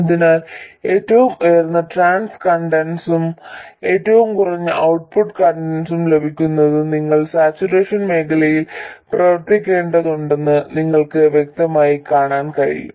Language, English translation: Malayalam, So, you can clearly see that to have highest transconductance and lowest output conductance you have to operate in saturation region